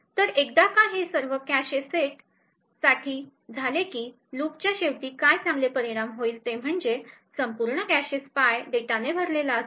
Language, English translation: Marathi, So, once this is done for all the cache sets what good result at the end of this for loop is that the entire cache is filled with spy data